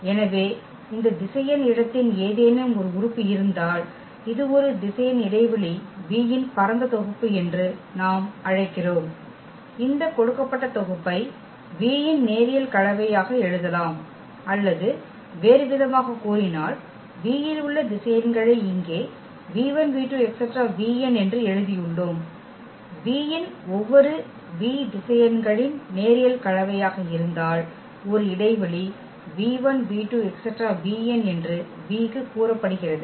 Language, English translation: Tamil, So, basically we call that this is a spanning set of a vector space V if any element of this vector space, we can write down as a linear combination of this given set V or in other words which we have written here the vectors v 1, v 2, v n in V are said to a span V if every v in V is a linear combination of the vectors v 1, v 2, v 3 v n